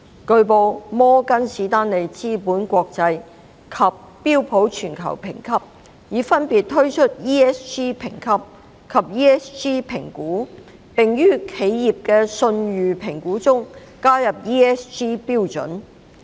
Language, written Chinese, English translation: Cantonese, 據報，摩根士丹利資本國際及標普全球評級已分別推出 ESG 評級及 ESG 評估，並於企業的信譽評估中加入 ESG 準則。, It has been reported that MSCI and SP Global Ratings have respectively introduced ESG Rating and ESG Evaluation and have included ESG criteria in assessing enterprises credit worthiness